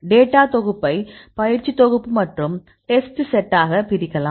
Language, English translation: Tamil, Either you can divide the dataset into training set and the testset